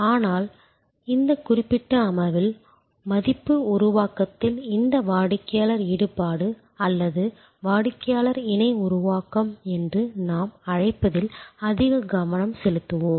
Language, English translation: Tamil, But, in this particular session we will focus more deeply on this customer involvement in value creation or what we call Customer Co Creation